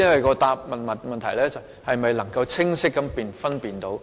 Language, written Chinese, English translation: Cantonese, 我的問題是：局長能否清晰地作出分辨？, My question is can the Secretary draw a clear distinction?